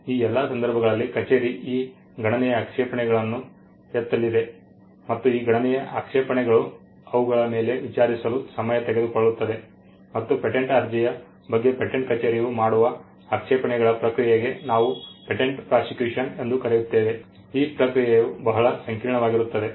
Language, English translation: Kannada, In all these cases the office is going to raise these substantial objections and these substantial objections it takes time to get over them and this process of the office raising objections over a patent application is what we called patent prosecution and patent prosecution is a very detail and sometimes complicated processes